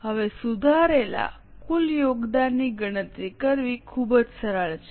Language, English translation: Gujarati, Now, the revised total contribution is very simple to calculate